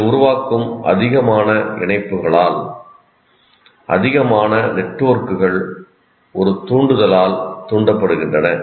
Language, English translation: Tamil, The more associations you create, more networks get triggered by one stimulus